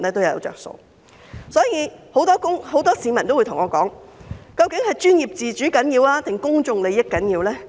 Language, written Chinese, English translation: Cantonese, 因此，很多市民都問我，究竟是專業自主重要，還是公眾利益重要？, Because of the above many members of the public often put the following questions to me . Which of the two is more important professional autonomy or public interest?